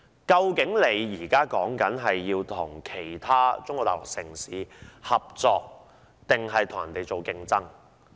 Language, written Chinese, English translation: Cantonese, 究竟香港應與其他中國大陸城市合作還是競爭呢？, Should Hong Kong cooperate or compete with other cities in Mainland China?